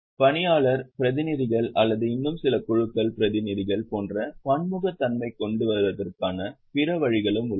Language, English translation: Tamil, There are also other ways to bring in diversity like employee representatives or representatives of some more groups